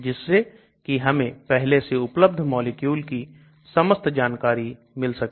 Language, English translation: Hindi, So I will know all about currently existing molecules